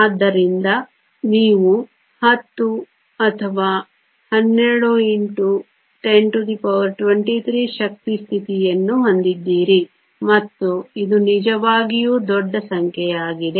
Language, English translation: Kannada, So, you have 10 times or 12 times 10 to the 23 energy states and this is a really large number